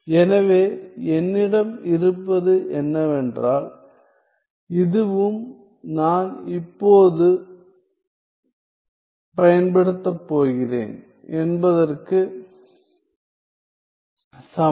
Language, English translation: Tamil, So, what I have is that this is also equal to I am now going to use